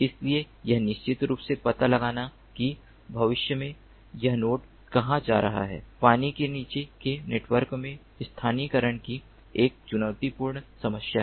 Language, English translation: Hindi, so accurately finding out that at a particular instant of time in the future, where this node is going to be, is a challenging problem of localization in underwater sensor networks